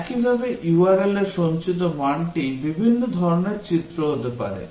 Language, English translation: Bengali, Similarly, the value that is stored in the URL can be different types of images